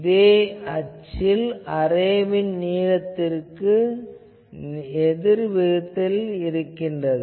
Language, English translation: Tamil, This is inversely proportional to the array length in that axis